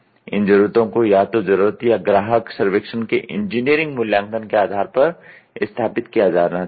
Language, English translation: Hindi, So, these needs should be established based on either engineering assessment of the need or customer survey